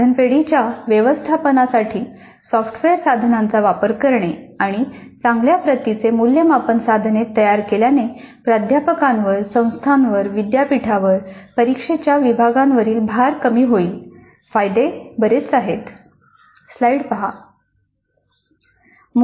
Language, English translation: Marathi, Use of software tools for management of item banks and generating good quality assessment instruments will reduce the load on the faculty, on the institute, on the university, on the exam sections